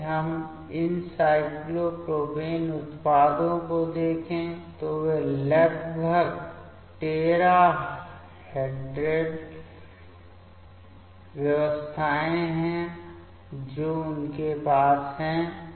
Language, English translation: Hindi, If we see these cyclopropane product, they are almost tertrahedral arrangements they are having